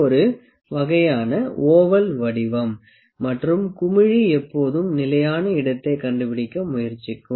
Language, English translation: Tamil, It is a kind of an oval shape, and the bubble would always try to find the stable space